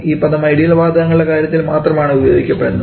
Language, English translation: Malayalam, And this term is used only for ideal gases not too much for real gases